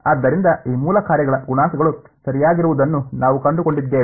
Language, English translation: Kannada, So, what we ended up finding out were the coefficients of these basis functions right